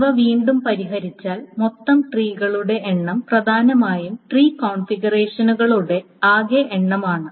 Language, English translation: Malayalam, So if we solve these two, the total number of trees is essentially total number of tree configurations